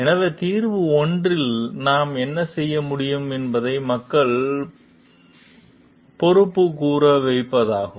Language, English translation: Tamil, So, what we can do is solution 1 could be is to let make people accountable